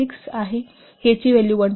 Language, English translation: Marathi, 6, value of K is 1